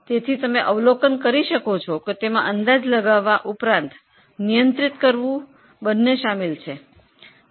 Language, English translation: Gujarati, So, you would observe estimating is also involved and controlling is also involved